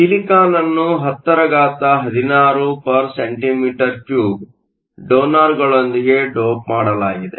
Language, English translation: Kannada, The silicon is doped with 1016 donors cm 3